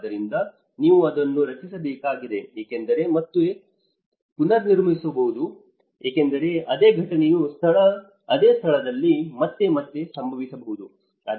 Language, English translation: Kannada, So, there is you have to create that because this might repeat again because the same incident might occur again and again at the same place